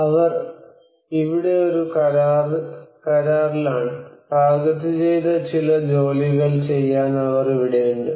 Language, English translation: Malayalam, They are here on a contract, they are here to do certain targeted work